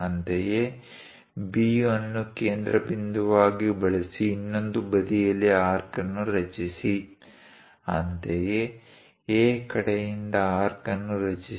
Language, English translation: Kannada, Similarly, use B as centre on the other side construct an arc; similarly, from A side, construct an arc